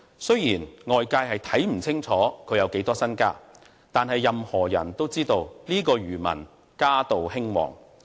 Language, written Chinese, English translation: Cantonese, 雖然外界看不清楚他有多少身家，但任何人都知道這名漁民家道興旺。, It is hard to know how much wealth this fisherman has but it is obvious that this fisherman family thrives